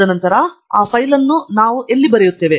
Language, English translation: Kannada, And then, where do we write that file